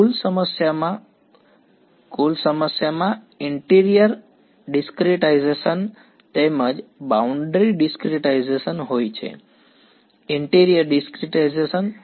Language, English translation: Gujarati, In the total problem, the total problem has a interior discretization as well as boundary discretization; interior discretization